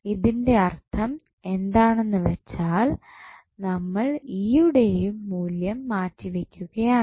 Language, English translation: Malayalam, It means that we are replacing the value of E